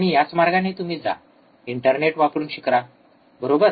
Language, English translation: Marathi, And this is the way you go and learn useing internet, right